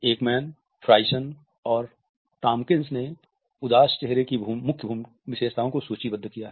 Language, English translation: Hindi, Ekman, Friesen and Tomkins have listed main facial features of sadness as being